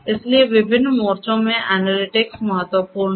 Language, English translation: Hindi, So, analytics is important in different fronts